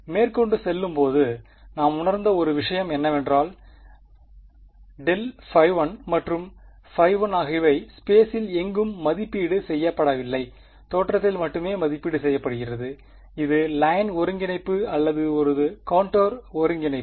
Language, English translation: Tamil, Moving further one thing we realized was that grad phi 1 and phi 1 these are not being evaluated anywhere in space there only being evaluated on the look this is the line integral or a contour integral